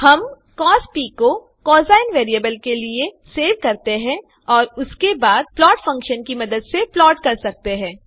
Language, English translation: Hindi, We can save cos to variable cosine and then plot it using the plot function